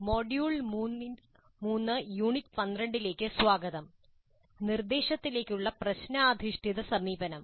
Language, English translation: Malayalam, Greetings, welcome to module 3, Unit 12, problem based approach to instruction